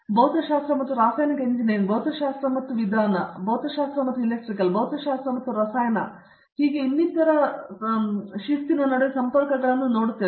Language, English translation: Kannada, I am seeing the connections between physics and chemical engineering, physics and methodology, and physics and e, physics and chemistry and so on